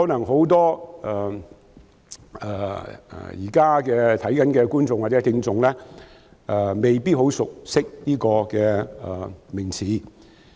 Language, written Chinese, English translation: Cantonese, 很多現正觀看會議直播的觀眾或聽眾可能未必很熟悉這名詞。, Many people who are watching or listening to the live broadcast of this meeting now probably may not know this term very well